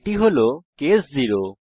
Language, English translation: Bengali, This is case 0